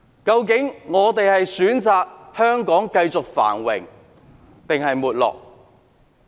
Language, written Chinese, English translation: Cantonese, 究竟大家會選擇讓香港繼續繁榮還是沒落？, Will they choose to see Hong Kong continue to prosper or perish?